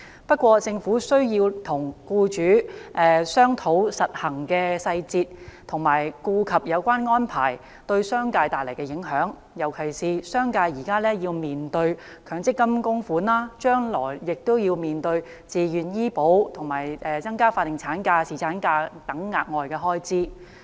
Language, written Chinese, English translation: Cantonese, 不過，政府需要與僱主商討實行的細節，以及顧及有關安排對商界帶來的影響，尤其是商界現時要面對強制性公積金供款，將來亦要面對自願醫療保險和增加法定產假、侍產假等額外開支。, However the Government should discuss with employers the implementation details in this respect and take account of its implications for the commercial sector particularly in view of the fact that the commercial sector is now coping with payment of the Mandatory Provident Fund contributions they will have to face additional expenses to be arising from such measures as Voluntary Health Insurance as well as extension of statutory maternity and paternity leave